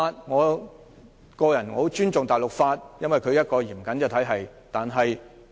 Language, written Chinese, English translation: Cantonese, 我個人很尊重大陸法，因為這是一個嚴謹的體系。, I personally have great respect for civil law because it is a very stringent system